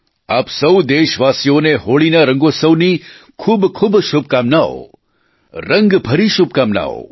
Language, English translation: Gujarati, I wish a very joyous festival of Holi to all my countrymen, I further wish you colour laden felicitations